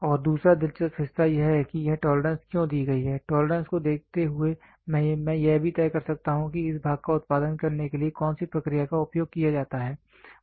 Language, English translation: Hindi, And the other interesting part is why is this tolerance given, looking into the tolerance I can also decide which process used to produce this part